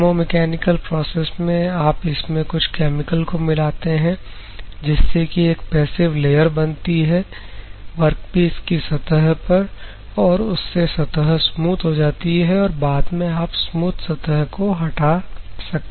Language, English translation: Hindi, In chemo mechanical process what is going to takes place is you are going to add some chemical that are going to make a passivation layer on the workpiece surface, so that the surface will become smooth, and then you can remove that smooth layer